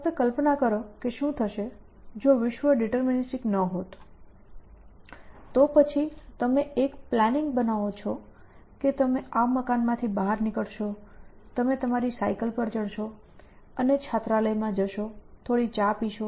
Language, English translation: Gujarati, Just imagine that what would happen, if the world was not deterministic, then you create a plan that you will get out of this building, you will board your bicycle and go off to the hostel and have some tea